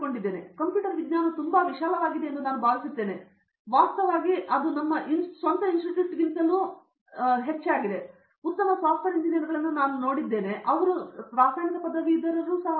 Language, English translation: Kannada, I think computer science is very broad, actually I have seen very good software engineers even from our own institute they are chemical graduates